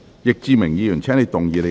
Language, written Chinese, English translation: Cantonese, 易志明議員，請動議你的修正案。, Mr Frankie YICK you may move your amendments